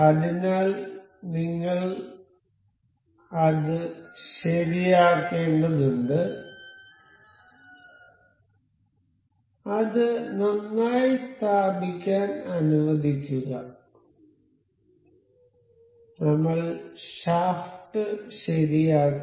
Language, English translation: Malayalam, So, we need to fix it let us just place it well and we will fix the shaft